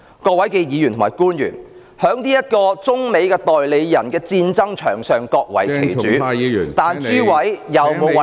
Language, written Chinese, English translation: Cantonese, 各位議員及官員，在這個中美代理人戰爭場上各為其主，但諸位有否為香港的利益......, Members and public officers in this battlefield agents for China and the United States fight for their own masters but have you considered the interests of Hong Kong